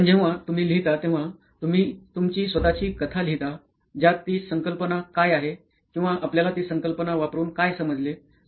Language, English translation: Marathi, Whereas in writing you write your own story what that concept what did you understand using that concept